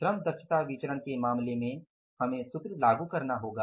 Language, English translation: Hindi, In case of the labor efficiency variance now we will have to apply the formula